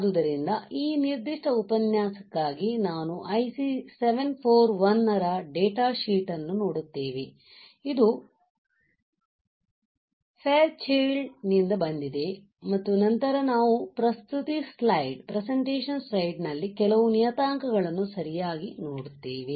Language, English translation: Kannada, So, for this particular lecture we will be we will be looking at the data sheet of IC 741, which is from Fairchild and then we will see some of the parameters in the presentation slide alright